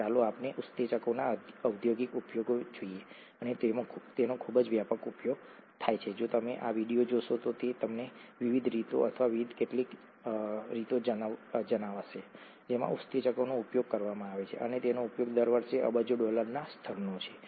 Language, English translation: Gujarati, Now let us look at the industrial uses of enzymes, they are very widely used, f you look at this video, it’ll tell you the various ways or some of the ways in which enzymes are used and their usage is billions of dollars per year kind of level